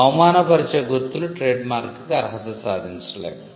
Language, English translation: Telugu, Marks that are disparaging cannot qualify as a trademark